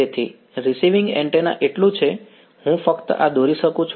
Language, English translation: Gujarati, So, receiving antenna is so, I can just draw this